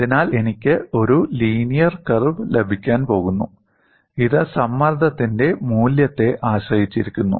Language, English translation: Malayalam, So, I am going to have a linear curve and this depends on what is the value of stress